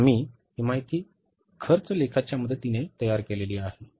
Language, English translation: Marathi, Now, we have generated this information with the help of the cost accounting